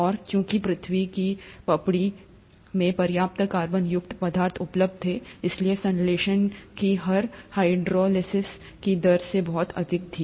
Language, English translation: Hindi, And since there were sufficient carbonaceous material available in the earth’s crust, the rate of synthesis was much much higher than the rate of hydrolysis